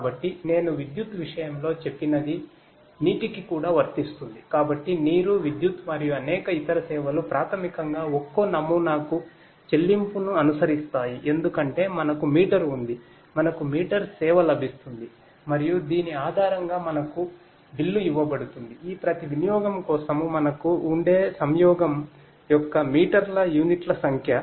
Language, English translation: Telugu, So, I took the case I took the case of electricity the same applies for water as well, so water, electricity and many different other services basically follow the pay per use model because we have meter, we are getting meter service and we will be billed based on the number of units of the meters of conjunction that we will have for each of these utility